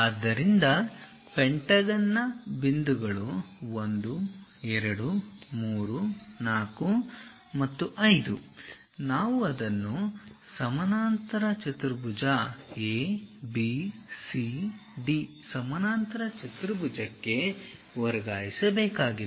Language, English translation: Kannada, So, the points of the pentagon 1 2 3 4 and 5 we have to transfer that onto this parallelogram ABCD parallelogram